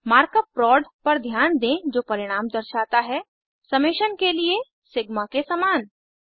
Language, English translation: Hindi, Notice the mark up prod which denotes product, similar to sigma for summation